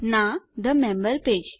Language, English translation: Gujarati, no, the member page